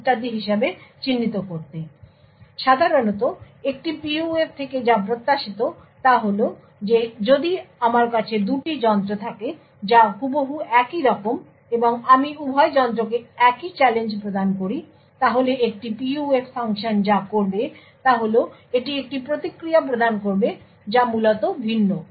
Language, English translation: Bengali, So, typically what is expected of a PUF is that if I have two devices which are exactly identical and I provide the same challenge to both the devices, then what a PUF function should do is that it should provide a response which is different, essentially each device should provide a unique response for the same challenge